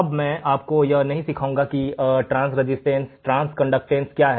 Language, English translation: Hindi, Now, I am not going to teach you what is transconductance and transresistance